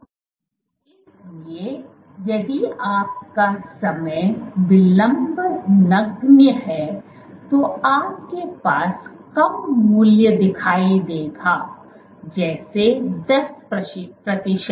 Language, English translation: Hindi, So, if your time delay is negligible you would see a low value, let us say 10 percent